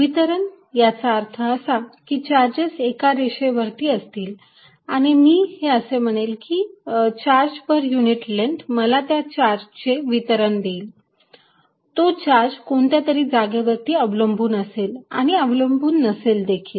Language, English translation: Marathi, By distribution I mean it could be a charge distributed over a line, and this I will say charge per unit length will give me the distribution that charge could be dependent on which position and moreover it could be independent